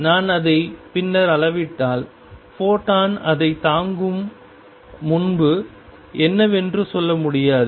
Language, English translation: Tamil, If I measure it later I cannot say what it was before the photon hit it